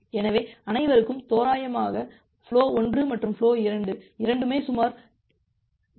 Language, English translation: Tamil, So, everyone will get approximately both flow 1 and flow 2 will get approximately 0